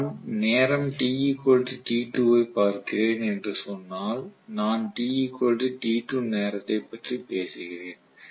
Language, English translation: Tamil, If I say I am looking at time t equal to t2, so I am talking about time t equals to t2